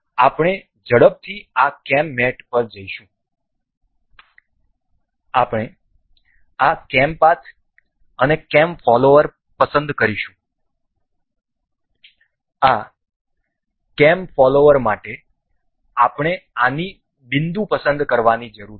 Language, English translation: Gujarati, So, we will quickly go to this cam mate, we will select this cam path and cam follower for this cam follower we need to select the vertex of this